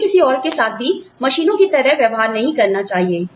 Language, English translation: Hindi, We should not be treating, anyone else, like a machine